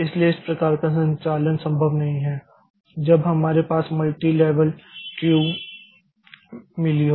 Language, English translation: Hindi, So, this type of movement is not possible when we have got this multi level Q